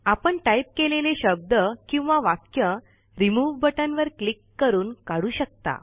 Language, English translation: Marathi, We can remove the word or sentence typed, by clicking Remove